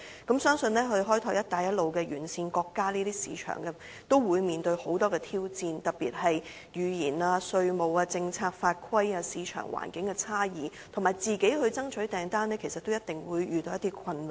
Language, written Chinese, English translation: Cantonese, 同樣，相信開拓"一帶一路"沿線國家的市場，都會面對很多挑戰，特別是語言、稅務、政策、法規、市場環境的差異，以及自行爭取訂單，其實都一定會遇到一些困難。, Likewise when developing markets in countries along the Belt and Road they would probably face many challenges especially languages tax policies legislation differences in market environment and winning orders on their own which definitely present some difficulties